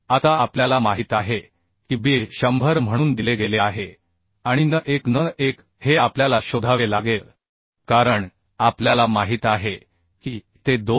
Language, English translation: Marathi, Now b we know is given as 100 and n1 n1 we have to find out n1 will be, as we know it will disperse with 25 slop